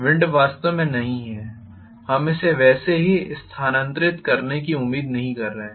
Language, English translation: Hindi, The wind is really not, we are not expecting it to move just like that